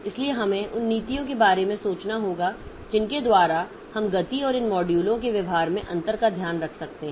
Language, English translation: Hindi, So, we have to think about the policies by which we can take care of this difference in speed and difference in behavior of these modules and all